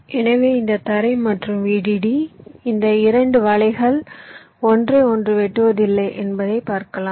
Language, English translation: Tamil, so these ground and v d d, these two nets, are not intersecting each other, you can see